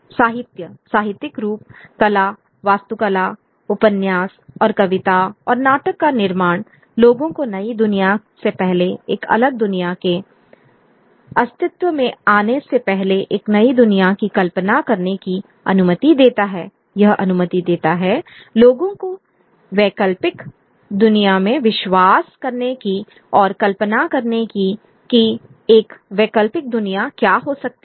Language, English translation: Hindi, novels and poetry and drama allow people to imagine a new world before the new world a different world comes into being it allows for people to believe in alternative world or imagine what an alternative world could be